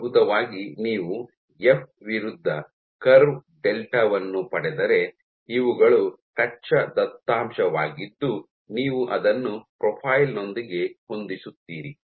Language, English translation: Kannada, So, if in essence you get a curve delta versus F, which is these are your raw data you fit it with a profile